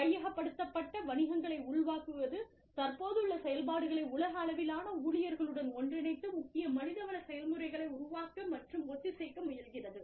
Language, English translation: Tamil, And, absorption of acquired businesses, merging of existing operations on a global scale, staffing attempts to develop and harmonize core HR processes